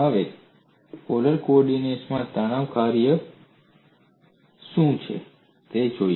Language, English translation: Gujarati, Now let us look, at what are the forms of stress function in polar coordinates